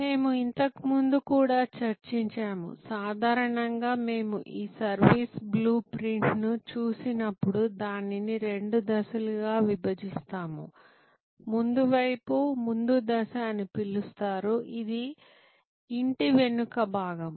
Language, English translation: Telugu, We have also discussed earlier, that normally when we look at this service blue print, we divide it in two stages, the front side is called the front stage, this is the back of the house